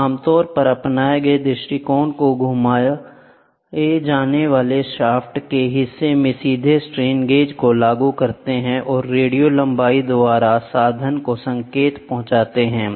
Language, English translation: Hindi, We approach commonly adopted is to apply strain gauge directly to the portion of the rotating shaft and to transmit the signal by radio length to the instrument